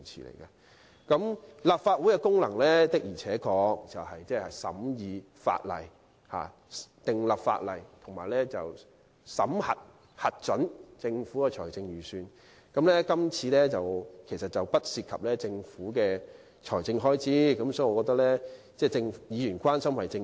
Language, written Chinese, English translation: Cantonese, 立法會的功能是審議法例、訂立法例，以及審核和核准政府的財政預算，而今次的確並不涉及政府的財政開支，我覺得議員表示關心實屬正常。, The functions of the Legislative Council are to scrutinize and enact legislation as well as to examine and approve budgets introduced by the Government . It is true that even though the project does not involve any government expenditure it is still natural for Members to express concern